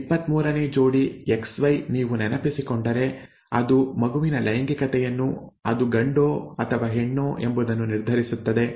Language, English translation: Kannada, The 23rd pair, XY if you recall, determines the sex of the child, okay, whether it is a male or a female